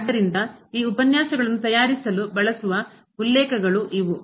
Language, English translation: Kannada, So, these are the references used for preparing these lectures and